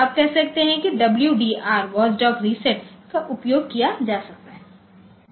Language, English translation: Hindi, So, you can say like WDR watch dog reset that can be used